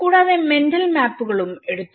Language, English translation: Malayalam, Also, taken the mental maps